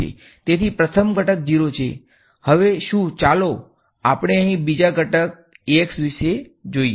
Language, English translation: Gujarati, So, the first component is 0, what about now let us go to the second component over here A x is